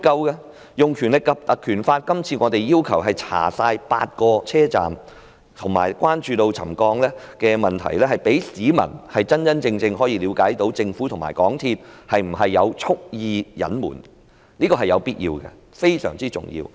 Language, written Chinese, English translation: Cantonese, 這次我們要求引用《條例》調查全部8個車站及關注沉降的問題，可以讓市民真正了解政府和港鐵公司有否蓄意隱瞞，這是有必要的，而且非常重要。, In proposing this motion we demand invocation of PP Ordinance to inquire into all the eight stations while expressing concern over the settlement problem so as to enable the public to truly find out whether the Government and MTRCL had deliberately concealed the problem . This is necessary and crucially important